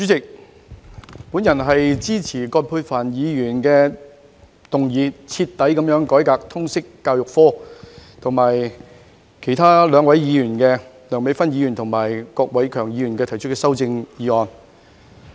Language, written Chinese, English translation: Cantonese, 代理主席，我支持由葛珮帆議員動議有關"徹底改革通識教育科"的議案，以及另外兩位議員提出的修正案。, Deputy President I support the motion on Thoroughly reforming the subject of Liberal Studies proposed by Ms Elizabeth QUAT and the amendments proposed by two other Members namely Dr Priscilla LEUNG and Mr KWOK Wai - keung